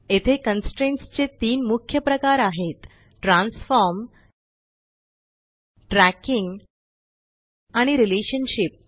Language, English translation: Marathi, here are three main types of constraints – Transform, Tracking and Relationship